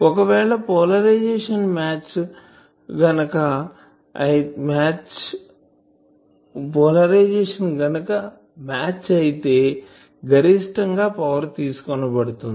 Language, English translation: Telugu, If polarisation is match then there will be maximum power can be extracted